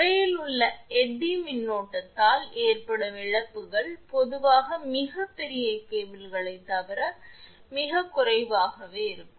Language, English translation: Tamil, The losses due to eddy current in the sheath are usually negligible except in very large cables